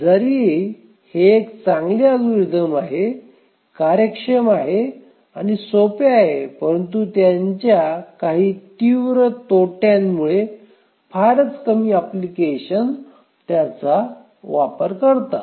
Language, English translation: Marathi, If it is such a good algorithm, it is efficient, simple, why is it that none of the applications, I mean very few applications use it